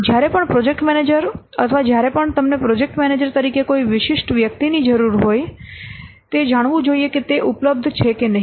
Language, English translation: Gujarati, Whenever the project manager or whenever you as a project manager need a particular individual, you should know whether that is available or not